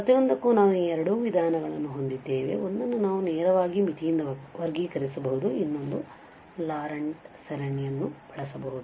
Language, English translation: Kannada, So, for each we have these two approaches, one we can classify directly by limit, another one using the Laurent series